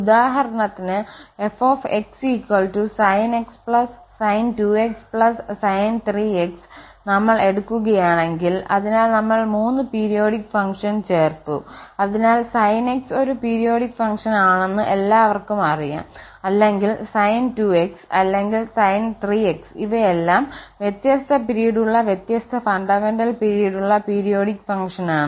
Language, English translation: Malayalam, So, for instance if we take this fx is equal to sinx plus sin2x plus sin3x so we have added 3 periodic functions so it is well known that the sin x is a periodic function or sin2x or sin3x, all these are periodic functions with different period, different fundamental period